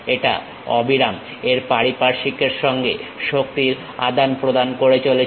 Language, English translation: Bengali, It is continuously exchanging energy with the surroundings